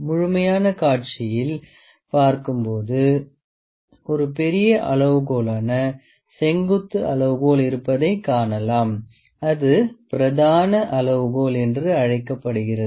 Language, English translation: Tamil, When we look at the full view, we can see that a big scale is there vertical scale that is known as main scale